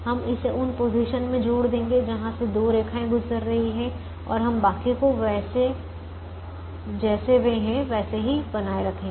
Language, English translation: Hindi, we will add this one to positions where two lines are passing through and we will retain the rest of them as they are